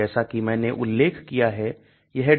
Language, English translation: Hindi, As I mentioned this is DRUGBANK